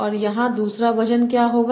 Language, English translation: Hindi, So what will be the second weight here